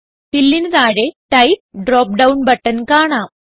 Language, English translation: Malayalam, Under Fill, we can see Type drop down button